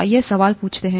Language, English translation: Hindi, Let’s ask the question